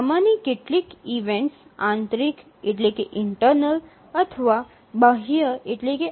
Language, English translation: Gujarati, Some of these events may be internal events or may be external events